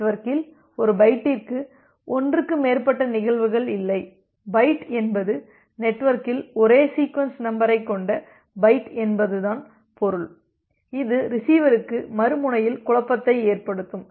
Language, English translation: Tamil, There are not more than one instances of the same byte in the network, same byte means the byte with the same sequence number in the network which can create confusion for the other end, for the receiver